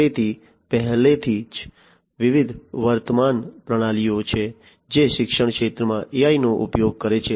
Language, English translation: Gujarati, So, already there are different existing systems which use AI in the education sector